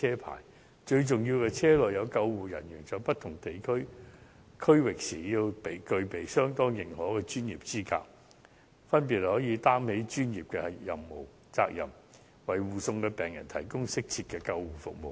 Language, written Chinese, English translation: Cantonese, 而最重要的是，車輛駛經不同區域時，要有具備當地認可專業資格的救護人員，可以擔起專業責任，為護送的病人提供適切的救護服務。, Most importantly while travelling across the border the vehicle must carry on it professional ambulance personnel who have qualifications recognized by the respective region . These personnel must be able to take up professional responsibilities and provide suitable ambulance services to the patient being escorted